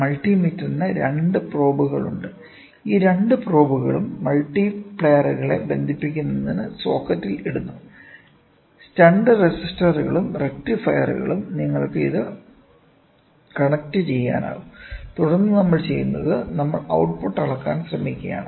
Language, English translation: Malayalam, Multi meter is use you have two probes, these two probes are put into the socket for connecting multipliers; stunt resistors and rectifiers you can connect it and then what we do is we try to measure the output